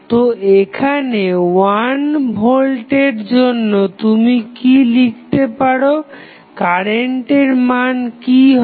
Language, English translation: Bengali, So, what you can right at this point for 1 volt what would be the current